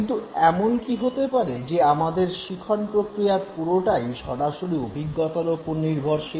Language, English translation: Bengali, But is it that our entire learning is dependent on direct experience